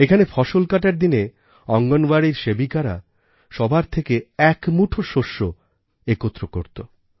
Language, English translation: Bengali, In this novel scheme, during the harvest period, Anganwadi workers collect a handful of rice grain from the people